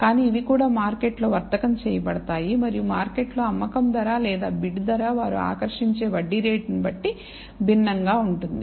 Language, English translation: Telugu, But these are also traded in the market, and the selling price in the market or bid price would be different depending on the kind of interest rate they attract